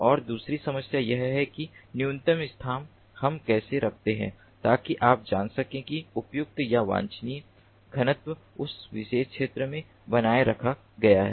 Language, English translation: Hindi, and the second problem is that, minimally, how do we place so that you know, appropriate or desirable density is maintained in the ah in that particular area